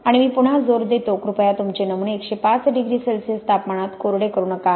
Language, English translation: Marathi, But and I stress again, please, please, please do not dry your samples at a hundred and five degrees C